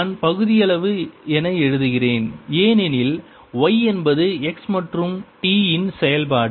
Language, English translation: Tamil, i am writing partial because y is a function of x and t both